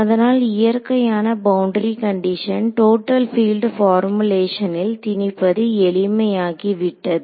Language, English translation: Tamil, So, it becomes easy to impose a natural boundary conditions in the total field formulation right